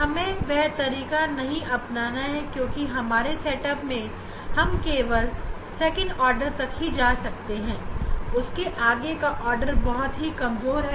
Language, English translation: Hindi, we are not going to use that method because in our setup only we get up to second order other higher order is very weak